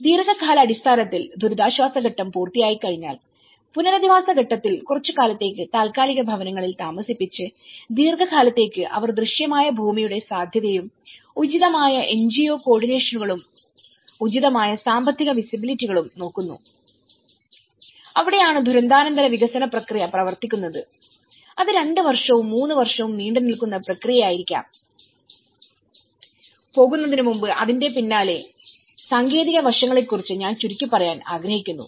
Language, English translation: Malayalam, In a long run, once the relief stage is done and the rehabilitation stage where they are put in temporary housing for some time and long run they look for the visible land feasibility and appropriate NGO co ordinations, appropriate financial visibilities and that is where the post disaster development process works on, which you could be a two year, three year long run process, and before going I like to brief about the technical aspects behind it